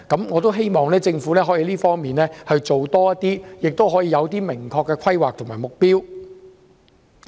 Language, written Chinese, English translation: Cantonese, 我希望政府可以在這方面多花工夫，訂出明確的規劃和目標。, I hope the Government will make greater efforts in formulating specific planning and objectives in this respect